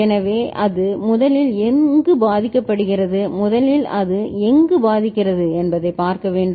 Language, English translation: Tamil, So, we have to see where it gets first affected, where it first affects